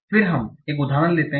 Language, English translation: Hindi, So let's take an example